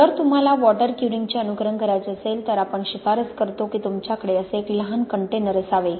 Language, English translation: Marathi, If you want to simulate water curing then what we recommend is you have a small container like this